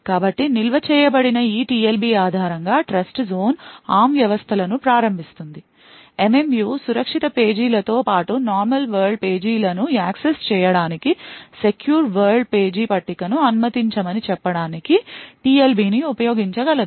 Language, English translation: Telugu, So, based on this TLB which is stored Trustzone enable ARM systems the MMU would be able to use the TLB to say permit a secure world page table to access secure pages as well as normal world pages